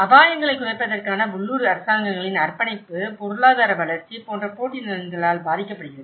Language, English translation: Tamil, And commitment of the local governments to risk reduction is impacted by competing interests such as economic growth